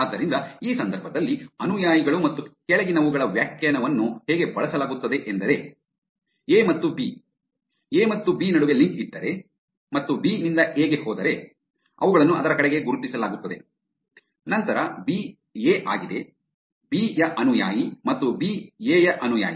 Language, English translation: Kannada, So, how the definition of the follower and followings is used in this context is, A and B, if there is a link between A and B and going from B to A, they are marked as towards that, then B is, A is B’s following and B is A’s follower